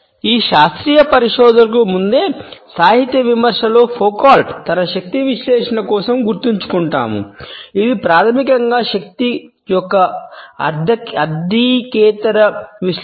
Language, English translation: Telugu, In literary criticism even prior to these scientific researchers we remember Foucault for his analysis of power which is basically a non economist analysis of power